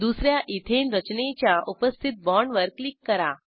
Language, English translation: Marathi, Click on the existing bond of the second Ethane structure